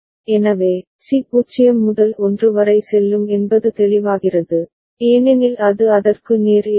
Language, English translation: Tamil, So, C will go from 0 to 1 is it clear, because it is just opposite of it right